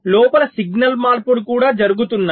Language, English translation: Telugu, there is also signal changes going on inside